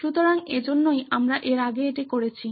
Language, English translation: Bengali, So, that is why we have done it prior to this